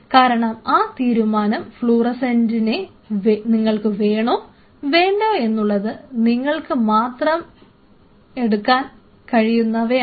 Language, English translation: Malayalam, Because that decision only you can take whether you want a fluorescent attachment or not